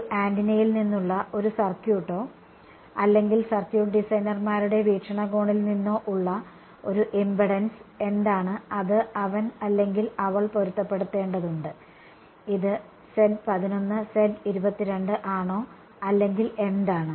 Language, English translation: Malayalam, From a circuit from an antenna or a circuit designers point of view what is the impedance that he or she needs to match, is it Z 1 1, Z 2 2 or what